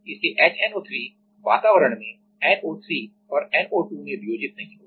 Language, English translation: Hindi, So, the HNO3 will not dissociate into NO3 and NO2 into the atmosphere